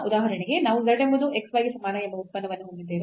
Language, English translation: Kannada, So, for example, we have this function z is equal to xy x is a function of t